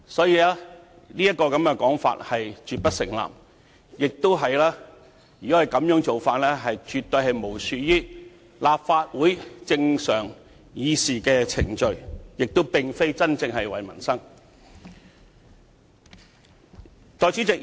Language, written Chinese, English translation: Cantonese, 因此，這種說法絕不成立，而這種做法更是完全漠視立法會正常的議事程序，並非真正為民生出發。, Hence this argument is absolutely not substantiated . What they have been doing is even a total disregard for the normal proceeding of the Legislative Council and they are not genuinely striving for peoples livelihood